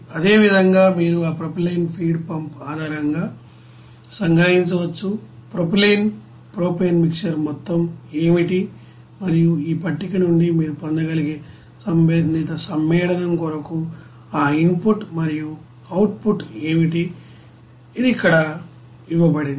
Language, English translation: Telugu, And similarly you can summarize it based on that you know propylene feed pump, what will be the you know amount of propylene propane mixer and what will be that input and output for respective you know compound that you can get from this table, it is given here